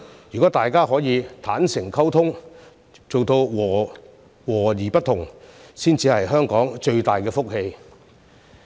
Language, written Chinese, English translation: Cantonese, 如果大家可以坦誠溝通，做到和而不同，才是香港最大的福氣。, If we can communicate with each other honestly and achieve harmony in diversity it will be the greatest blessing to Hong Kong